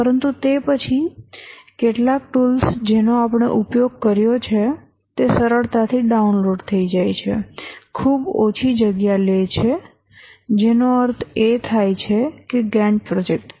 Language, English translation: Gujarati, But then some tools which we have used, it's easily downloaded, takes very less space, does meaningfully well is the Gant project